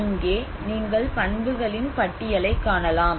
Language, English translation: Tamil, Like here you can see a list of properties